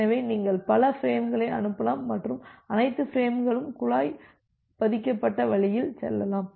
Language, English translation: Tamil, So, you can send multiple frames and all the frames can go in a pipelined way